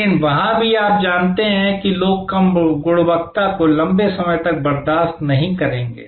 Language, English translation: Hindi, But, even there you know people will not tolerate low quality for long